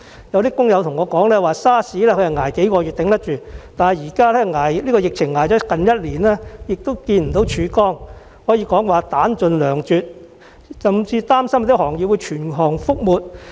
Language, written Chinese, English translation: Cantonese, 有工友告訴我 ，SARS 期間只是支撐數個月，還應付得來，但現在疫情已經接近1年，他們仍然看不到曙光，可謂彈盡糧絕，甚至擔心某些行業會全行覆沒。, Some workers told me that they survived SARS because it lasted only a few months but this epidemic has continued for almost a year and they still cannot see any ray of hope . They are left with no money or food and they are worried that some industries may even be wiped out altogether